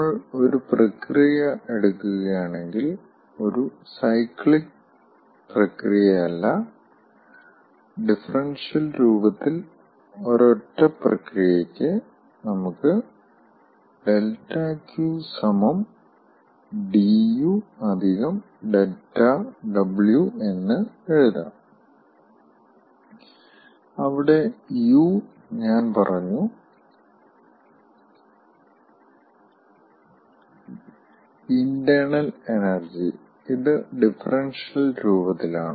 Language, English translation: Malayalam, if we take a single process, not a cyclic process, but for a process, single process in differential form, we can write: dq is equal to d, u plus dw, where u i have told internal energy, and this is in the differential form if we consider a change of state from one to two